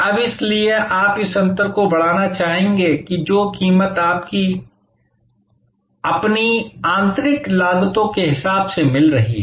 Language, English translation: Hindi, Now, why you would like to therefore enhance this difference that the price that you are getting versus your own internal costs